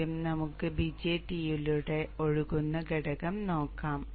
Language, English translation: Malayalam, First let us look at the component that flows through the BJT